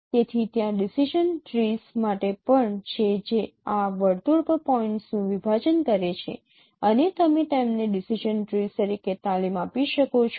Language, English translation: Gujarati, So there are even for the decision trees that partitioning of points on the circle and you can train them in that as a decision tree